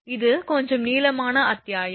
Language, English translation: Tamil, It is a it is a little bit longer chapter